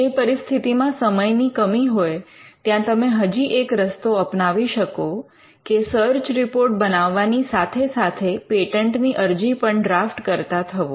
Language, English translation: Gujarati, In cases where, there is a constraint of time, one approach you could follow us to prepare a search report and simultaneously also draft the patent application now this could be done simultaneously